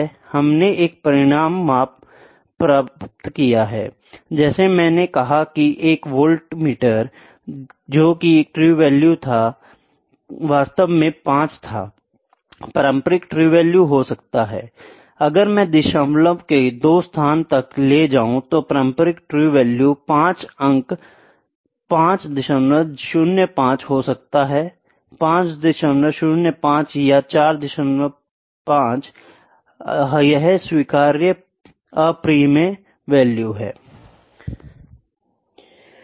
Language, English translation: Hindi, We have obtained a result like I said a voltmeter that was the true value was actually 5; conventional true value could be if I take up to two places of decimal conventional true value may be 5 point 5